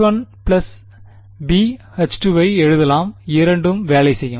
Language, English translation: Tamil, I can also write a H 1 plus b H 2 both will work